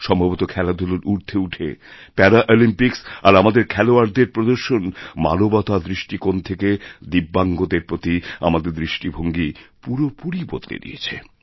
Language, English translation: Bengali, Perhaps going beyond sporting achievements, these Paralympics and the performance by our athletes have transformed our attitude towards humanity, towards speciallyabled, DIVYANG people